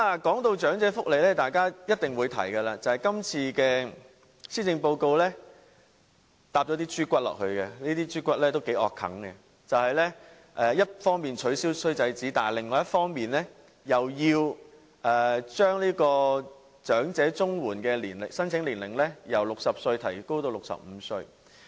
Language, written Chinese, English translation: Cantonese, 談到長者福利，大家一定會提及今次施政報告附送了一些"豬骨"，這些"豬骨"都很難接受，就是一方面取消"衰仔紙"，但另一方面又將長者綜援的申請年齡由60歲提高至65歲。, Talking about elderly welfare some undesirable measures in the Policy Address which are hard to accept must be mentioned . On the one hand the Government abolished the bad son statement and on the other it raised the eligible age for elderly Comprehensive Social Security Assistance CSSA from 60 to 65